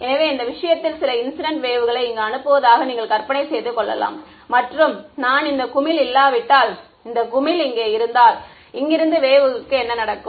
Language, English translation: Tamil, So, you can imagine in this case and I am sending some incident wave over here if this I have this blob over here, if this blob were not there what would happen to the wave from here